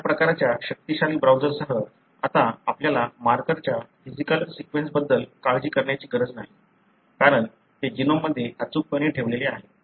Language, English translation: Marathi, With this kind of powerful browsers, now we really do not need to worry about the physical order of the marker because they are accurately placed in the genome